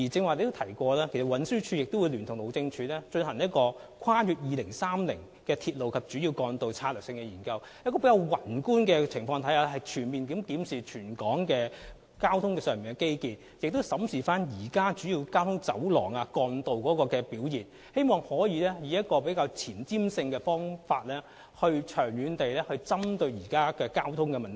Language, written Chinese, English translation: Cantonese, 我剛才提到，運輸署聯同路政署將會進行《跨越2030年的鐵路及主要幹道策略性研究》，從宏觀角度全面檢視全港的交通基建，並且審視現時主要交通走廊和幹道的表現，希望能夠前瞻性和長遠地針對現在香港面對的交通問題。, As I mentioned earlier on TD will conduct Strategic Studies on Railways and Major Roads beyond 2030 in collaboration with the Highways Department to review Hong Kongs transport infrastructure from a macroscopic perspective and examine the present performance of major corridors and trunk roads in the hope of addressing traffic problems currently faced by Hong Kong in a forward - looking manner and long term